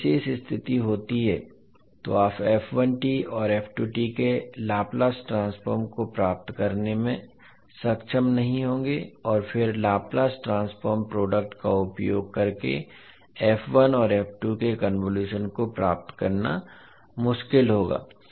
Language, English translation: Hindi, So when this particular condition happens you will not be able to get the Laplace transform of f1t and f2t and then getting the convolution of f1 and f2 using the Laplace transform product, would be difficult